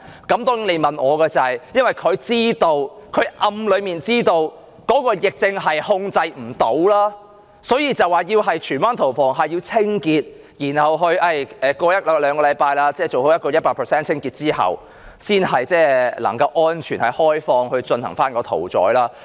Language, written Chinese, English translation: Cantonese, 如果問我原因，我會說政府暗中已經知道疫症無法控制，所以說荃灣屠房要進行清潔，用一兩個星期時間做好 100% 清潔後才能開放，才可安全地進行屠宰。, If you ask me I would say that the Government secretly knows swine fever cannot be contained . Therefore Tsuen Wan Slaughterhouse must be closed for cleaning closed for a 100 % thorough cleaning in one or two weeks before it can be reopened and to resume livestock slaughtering safely